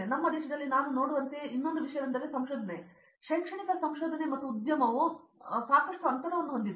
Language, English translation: Kannada, And one more thing is as I see in our country the research, the academic research and the industry there is a lot of gap in between that